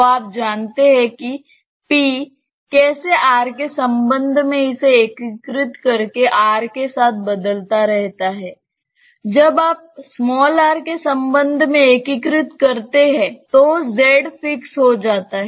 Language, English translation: Hindi, So, you know how p varies with r by integrating this with respect to r; when you integrate with respect to r z is fixed